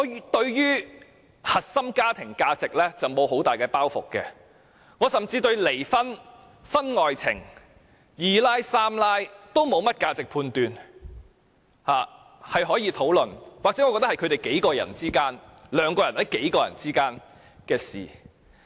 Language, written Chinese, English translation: Cantonese, 我對於核心家庭價值沒有很大的包袱，甚至對離婚、婚外情、"二奶"、"三奶"都沒有價值判斷，我覺得是可以討論的，或者是兩人或數人之間的事。, I do not have any baggage when it comes to core family values . I do not even have any value judgments on divorces extramarital affairs and mistresses . I believe these issues are debatable or simply matters between two or several people